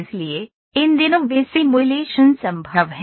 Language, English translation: Hindi, So, those simulations are possible these days